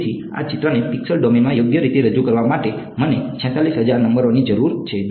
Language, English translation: Gujarati, So, in order to represent this picture correctly in the pixel domain, I need 46000 numbers right